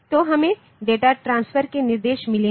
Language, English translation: Hindi, Then we have got the data transfer instructions